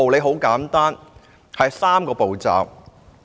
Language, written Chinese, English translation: Cantonese, 很簡單，有3個步驟。, You would take three very simple steps